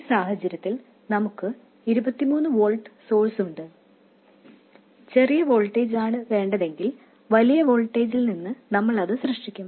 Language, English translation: Malayalam, In this case, we have a 23 volt And the smaller of the voltages we will generate that one from the larger voltage